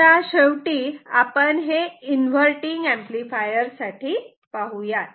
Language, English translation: Marathi, Now last thing, this inverting amplifier ok